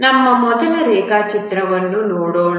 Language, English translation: Kannada, Let's look at our first diagram